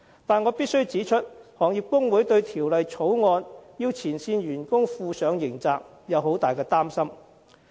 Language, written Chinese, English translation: Cantonese, 但是，我必須指出，行業工會對條例草案規定前線員工負上刑責極表擔心。, However I must point out that the trade unions of the industry are extremely worried about the criminal liability that frontline staff may bear under the Bill